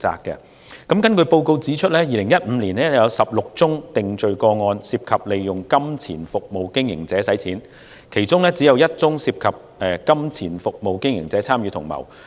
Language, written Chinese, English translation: Cantonese, 根據該報告指出 ，2015 年有16宗涉及利用金錢服務經營者洗錢的定罪個案，其中只有1宗涉及金錢服務經營者參與同謀。, According to the Report in 2015 there were 16 conviction cases involving money service operators being used for money laundering and only one of those cases involved the participation of money service operator as an accomplice in money laundering